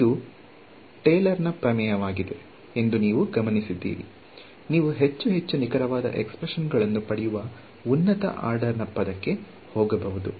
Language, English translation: Kannada, So, you notice that this is the underlying principle is Taylor’s theorem, you can keep going to higher order term you will get more and more accurate expressions